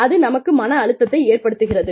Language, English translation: Tamil, It can put a lot of stress, on us